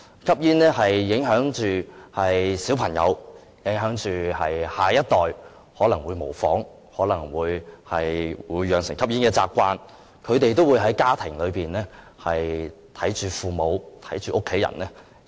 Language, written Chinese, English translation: Cantonese, 吸煙會影響小朋友、下一代，他們可能會模仿，養成吸煙的習慣。他們可能在家庭裏看到父母和家人吸煙。, Smoking will also affect children and future generations who might develop a smoking habit through imitation for they might see their parents or other family members smoke at home